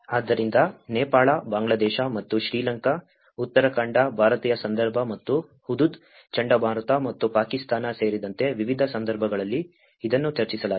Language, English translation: Kannada, So, all this they have been discussed in different cases including Nepal, Bangladesh and Sri Lanka, Uttarakhand, Indian context and as well as Hudhud cyclone and as well as Pakistan